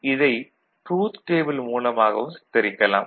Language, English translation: Tamil, This can be represented through the truth table also